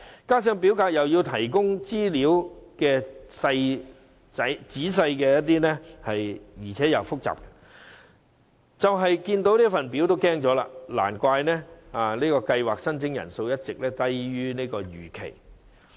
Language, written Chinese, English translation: Cantonese, 加上表格要求提供的資料既仔細又複雜，申請人單看表格已感害怕，難怪這個計劃的申請人數一直低於預期。, Moreover the information required in the form is detailed and complicated where applicants may be scared away at a glance of the form . No wonder the number of applications for the Scheme has all along been lower than expected